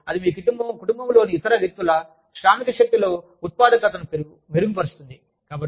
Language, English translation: Telugu, And, that in turn, improves the productivity of, the other people in your family, who are in the workforce